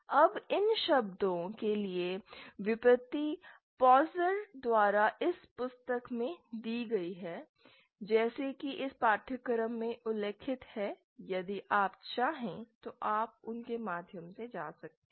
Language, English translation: Hindi, Now the derivations for these terms are given in this book by Pozar, as mentioned in the syllabus for this course, if you wish you can go through them